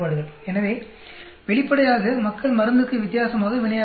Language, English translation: Tamil, So, obviously, the people respond differently for the drug